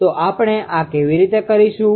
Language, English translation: Gujarati, So, how we will do this